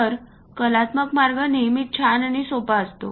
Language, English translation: Marathi, So, the artistic way always be nice and simple